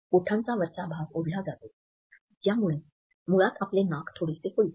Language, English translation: Marathi, The upper part of the lip will be pulled up, which basically causes your nose to flare out a little bit